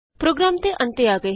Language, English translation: Punjabi, Coming to the end of the program